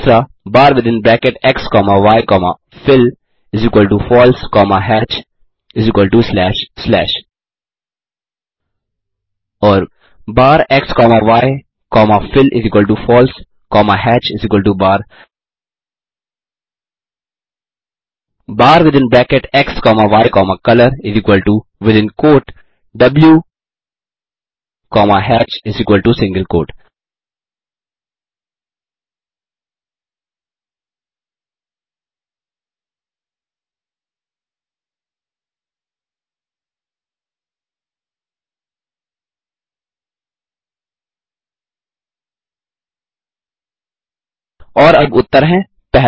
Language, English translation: Hindi, bar within bracket x comma y comma fill=False comma hatch=slash slash bar within bracket x comma y comma fill=False comma hatch=in single quote bar within bracket x comma y comma color= within quote w comma hatch=single quote And now the answers, 1